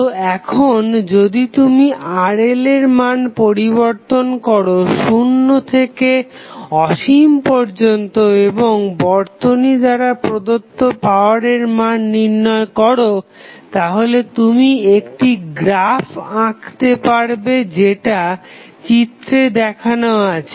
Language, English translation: Bengali, So, now, if you vary the value of Rl from 0 to say infinite and you measure the value of power supplied by the network to the load then you can draw a curve which will look like as shown in this figure